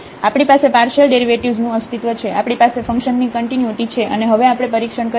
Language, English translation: Gujarati, So, we have the existence of partial derivatives, we have the continuity of the function and now we will test for the differentiability of this function